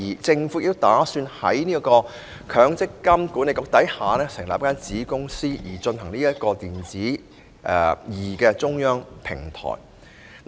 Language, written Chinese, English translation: Cantonese, 政府亦計劃在積金局下成立子公司，負責"積金易"中央平台。, Under MPFA a subsidiary specifically responsible for implementing the centralized platform of eMPF will also be set up